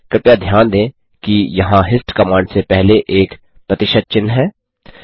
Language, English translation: Hindi, So, Please note that there is a percentage sign before the hist command